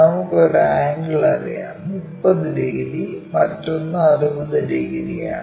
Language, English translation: Malayalam, The other angle supposed to make 30 degrees